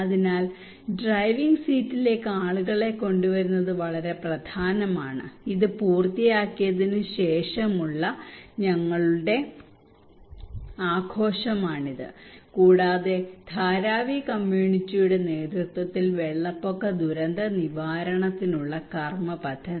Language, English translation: Malayalam, So bringing the people into the driving seat is really important this is the celebrations of our after finishing this and Dharavi community led action plan for flood disaster risk management